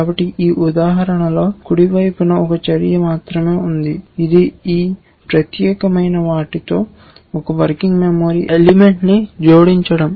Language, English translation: Telugu, So, in this example the right hand side has only one action which is to add one working memory element with this particular this one